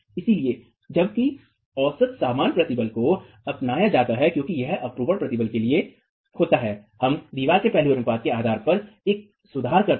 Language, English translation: Hindi, So, while the average normal stress is adopted as it is, for the shear stress, we make a correction based on the aspect ratio of the wall